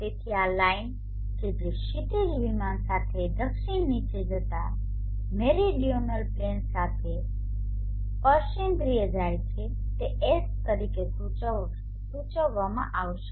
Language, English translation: Gujarati, So this line which goes tangential to the meridional plane going down south along the horizon plane will be denoted as S